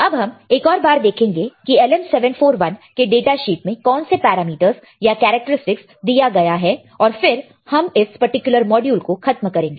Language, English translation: Hindi, Let us quickly see once again what are the day, what is what are the parameters or the characteristics given in the data sheet of LM741 and we will end this particular module all right